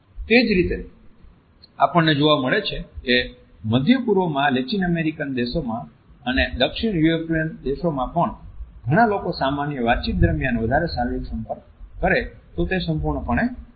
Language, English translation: Gujarati, In the same way we find that in Middle East in Latin American countries and in Southern European countries also a lot more physical contact during normal conversations is perfectly permissible